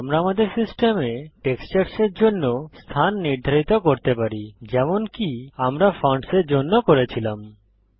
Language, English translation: Bengali, Now we can set the location for the textures on our system like we did for the fonts